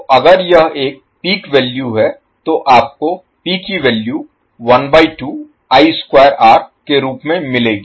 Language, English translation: Hindi, So if it is an peak value you will get the value P as 1 by 2 I square R